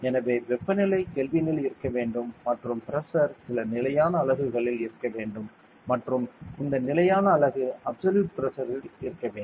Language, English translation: Tamil, So temperature should be in Kelvin and pressure should be in some standard unit and this standard unit should be in absolute pressure ok